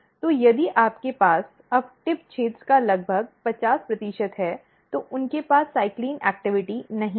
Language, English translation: Hindi, So, if you have now around 50 percent of the tip region they do not have cyclin activity